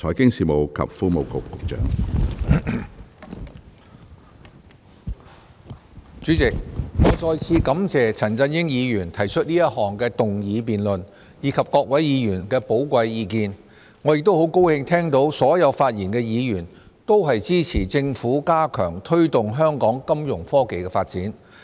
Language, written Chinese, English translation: Cantonese, 主席，我再次感謝陳振英議員動議這項議案辯論，以及各位議員的寶貴意見，亦很高興聽到所有發言的議員都支持政府加強推動香港金融科技發展。, President I would like to thank Mr CHAN Chun - ying again for moving the motion and all Members for their valuable opinions . Also I am glad to note that all Members who have just spoken support the Government to strengthen our efforts in promoting the development of financial technology Fintech in Hong Kong